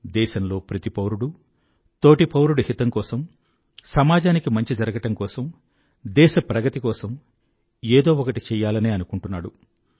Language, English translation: Telugu, Every citizen of the country wants to do something for the benefit of others, for social good, for the country's progress